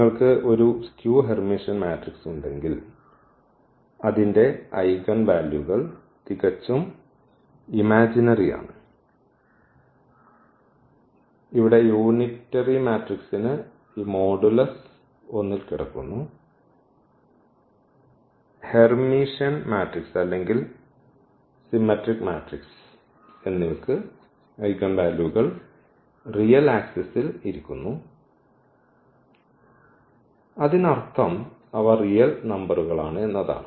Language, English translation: Malayalam, So, if you have a skew Hermitian matrix their eigenvalues are imaginary, purely imaginary here the unitary matrix they lie on this modulus 1 and for the Hermitian matrix or the symmetric matrix the values are sitting on the real axis, so meaning they are the real numbers